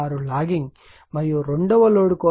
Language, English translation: Telugu, 6 lagging , and the for second load also it is your 0